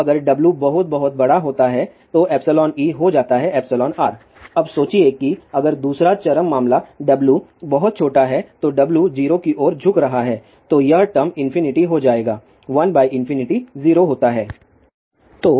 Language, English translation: Hindi, So, if W is very very large epsilon e will tend to become epsilon r now thing the other extreme case suppose if W is very small if W is tending toward 0 then this term will become infinity 1 by infinity will be 0